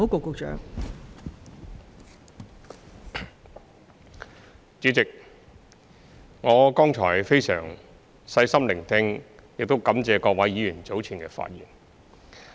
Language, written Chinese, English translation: Cantonese, 代理主席，我剛才非常細心聆聽並感謝各位議員早前的發言。, Deputy President just now I listened very carefully to the earlier speeches of Honourable Members and I also wish to thank Members for their speeches